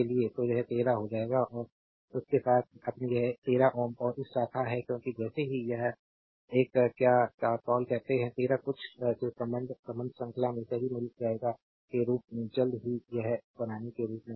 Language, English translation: Hindi, So, it will become 13 and with that your this is your 13 ohm and this branch because as we know as soon as you make this star as soon as you make this one what we call, star connection with the 13 something will find will be in series right